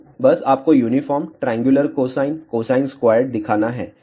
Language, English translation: Hindi, So, just to show you uniform, triangular cosine, cosine squared